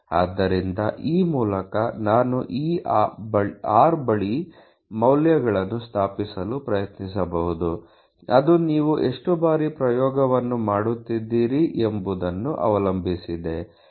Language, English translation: Kannada, So, that this way I can try to establish values near this r which is exactly the number of times you are you know doing the trial etcetera ok